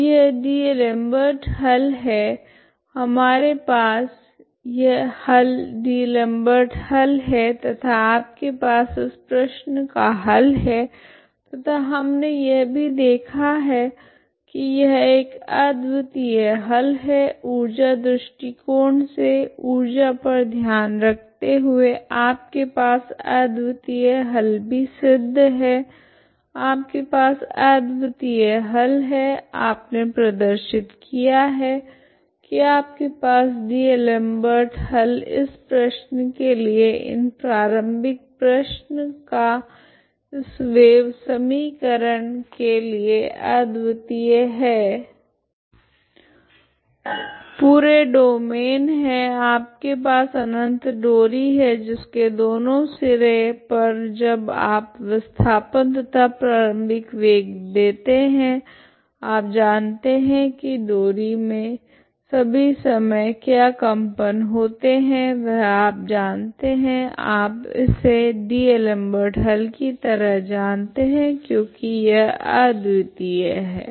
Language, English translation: Hindi, So this is the D'Alembert's solution we found we had a solution D'Alembert's solution and you have a solution for this problem and we have also seen that this is the unique solution by the energy argument by considering the energy you have the unique solution uniqueness is also proved, okay so you have a unique solution you have shown that D'Alembert's solution is the unique solution for this problem this initial problem for the wave equation on a full domain you have a infinite string infinite string at both ends when you give the displacement and the velocity initially you know that vibration of the string for all time you know as a D'Alembert's solution that is actually that is the solution is because of uniqueness